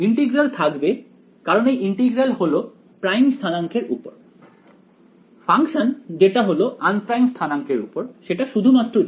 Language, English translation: Bengali, The integral will remain because this is integral over primed coordinates the function which is of un primed coordinates is only one g